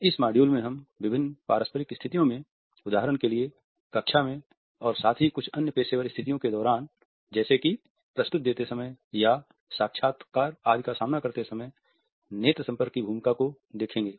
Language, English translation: Hindi, In this module we would look at the role of eye contact in different interpersonal situations, for example, in the classroom as well as during other certain professional situations like making a presentation and facing interviews etcetera